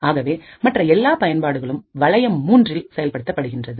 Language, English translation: Tamil, So, all the applications are running in ring 3